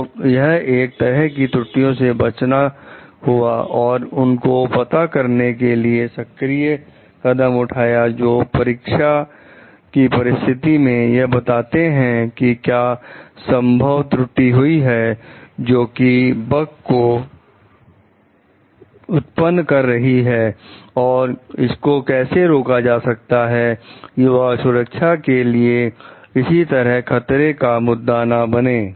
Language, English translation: Hindi, So, this is like avoid error and also to take proactive measures to find out to do test situations to find out what could be the possible errors which can produce bugs and how to like prevent it so that this may not make a threat to the safety issues